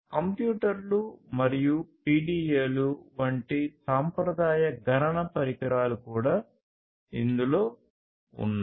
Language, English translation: Telugu, And this also includes the traditional computational devices such as computers, PDAs, laptops and so on